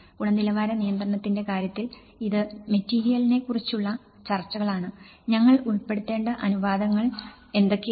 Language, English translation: Malayalam, In terms of quality control, it is also talks about the material, what are the ratios we have to include